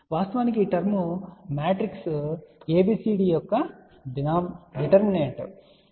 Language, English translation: Telugu, Actually this term really corresponds to the determinant of matrix ABCD